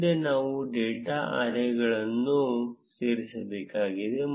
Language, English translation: Kannada, Next, we need to add data arrays